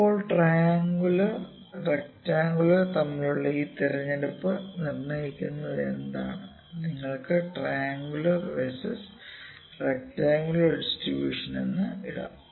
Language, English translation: Malayalam, Now, what determines this selection between triangular and rectangular you can put triangular versus rectangular distribution